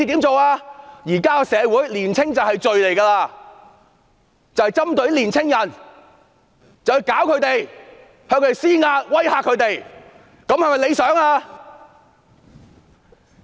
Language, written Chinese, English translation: Cantonese, 在現今社會，年青便是罪，他們針對年青人，向他們施壓、施以威嚇，這樣做是否理想呢？, It is now a sin to be young . Young people are being targeted at pressurized and threatened . Is this desirable?